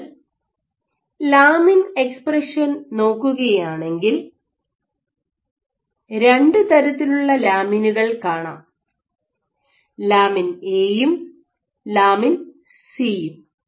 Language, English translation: Malayalam, So, if you look at lamin expression so there are two types of lamins in you having lamin A/C